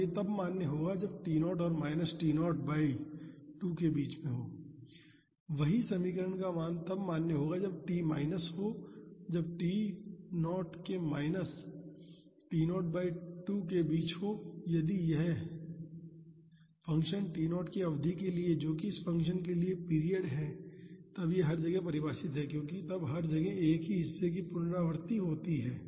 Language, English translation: Hindi, And this is valid when t is between 0 and T naught by 2 the same equation will be valid when t is minus that is when t is between 0 and minus T naught by 2 and if this function is defined for a duration of T naught that is the period of this function then it is defined everywhere because then its a repetition of the same portion everywhere